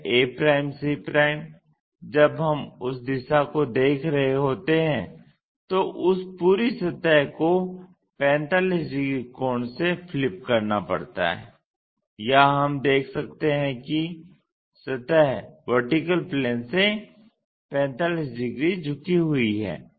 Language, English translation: Hindi, This a c when we are looking at that direction that entire surface has to be flipped in 45 angle here we can see that, surface is 45 degrees inclined to VP